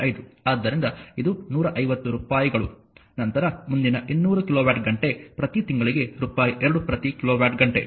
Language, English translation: Kannada, 5 so, it is rupees 150, then next 200 kilowatt hour per month rupees 2 per kilowatt hour